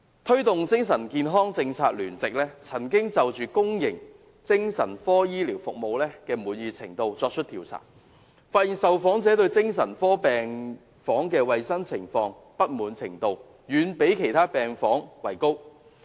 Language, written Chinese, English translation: Cantonese, 推動精神健康政策聯席曾就公營精神科醫療服務滿意程度進行調查，發現受訪者對精神科病房衞生情況的不滿程度，遠高於其他病房。, A survey conducted by the Alliance for Advocating Mental Health Policy on the degree of satisfaction with psychiatric healthcare services provided in the public sector has found that the dissatisfaction of the interviewees with the hygiene condition of psychiatric wards is far greater when compared to other wards